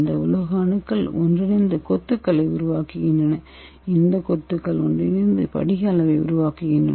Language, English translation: Tamil, This metal atoms combine to form the clusters, this clusters combine to form the crystal size